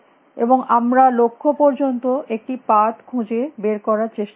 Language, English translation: Bengali, And we were trying to find a path to the goal